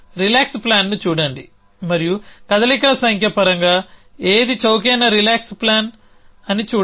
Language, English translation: Telugu, Look at the relax plan and see which is the cheapest relax plan may be in terms of number of moves